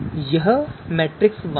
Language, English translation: Hindi, This matrix is there